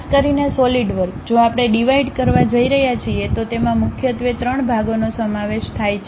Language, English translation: Gujarati, Especially, the Solidworks, if we are going to divide it consists of mainly 3 parts